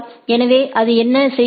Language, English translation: Tamil, So, what it does